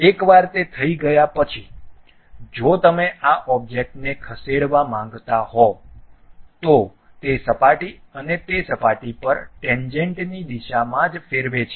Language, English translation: Gujarati, Once it is done, if you want to really move this object, it turns that surface and tangential to that surface only it rotates